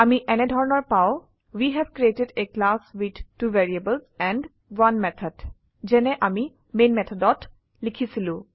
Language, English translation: Assamese, We get the output as: We have created a class with 2 variables and 1 method just as we had typed in the main method